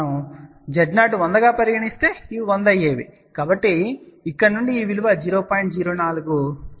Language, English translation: Telugu, If our Z 0 was suppose 100, then these would have been 100; say from here we can calculate this value is 0